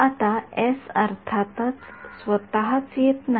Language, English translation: Marathi, Now s of course does not come by itself